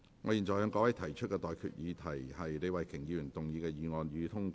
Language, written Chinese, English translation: Cantonese, 我現在向各位提出的待決議題是：李慧琼議員動議的議案，予以通過。, I now put the question to you and that is That the motion moved by Ms Starry LEE be passed